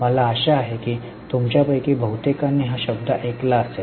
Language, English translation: Marathi, I hope most of you have heard this term